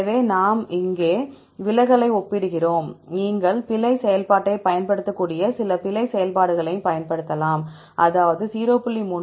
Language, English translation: Tamil, So, here just we compare the deviations, we can also apply some error functions you can apply error function δ, like 0